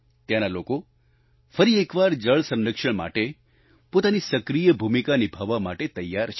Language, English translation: Gujarati, The people here, once again, are ready to play their active role in water conservation